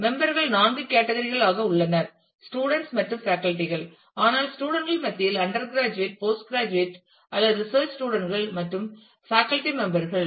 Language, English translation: Tamil, There are four categories of members broadly: students and teachers, but amongst students if they could be undergraduate postgraduate or research students and the faculty members